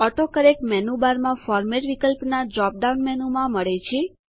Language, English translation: Gujarati, AutoCorrect is found in the drop down menu of the Format option in the menu bar